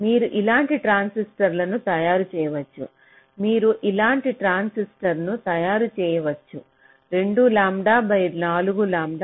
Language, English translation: Telugu, you can make a transistor like this: two lambda by four lambda